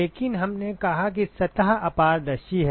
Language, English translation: Hindi, But we said that the surface is opaque